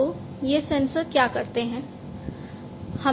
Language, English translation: Hindi, So, these sensors what they do